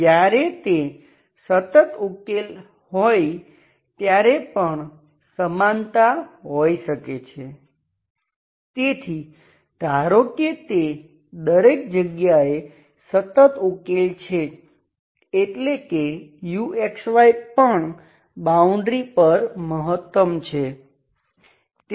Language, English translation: Gujarati, So that means equality can be there because when it is a constant solution, so it is, suppose it is a constant everywhere, that means it is also maximum value is also on the boundary